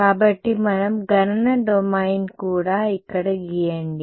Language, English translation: Telugu, So, let us also draw computational domain over here